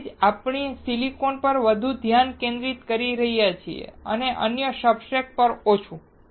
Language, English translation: Gujarati, That is why we are focusing more on silicon and less on other substrates